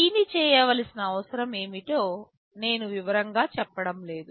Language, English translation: Telugu, The need for doing this I am not going into detail